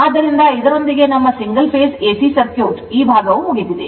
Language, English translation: Kannada, So, with these right our single phase AC circuit at least this part is over right